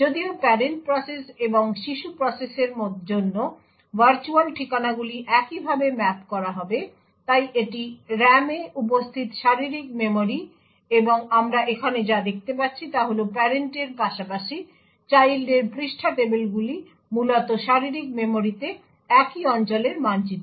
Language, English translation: Bengali, Although virtual addresses for parent process and the child process would get mapped in a very similar way, so this is the physical memory present in the RAM and what we see over here is that the page tables of the parent as well as the child would essentially map to the same regions in the physical memory